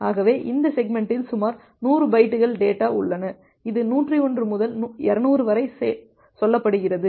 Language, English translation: Tamil, So, that way this segment contains some 100 bytes of data, this segment contains so, this is say from 101 to 200